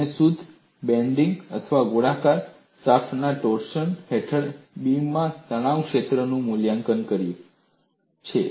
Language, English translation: Gujarati, You have evaluated stress field in a beam under pure bending or torsion of a circular shaft